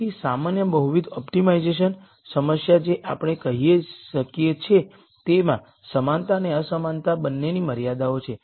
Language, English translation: Gujarati, So, general multivariate optimization problem we can say has both equality and inequality constraints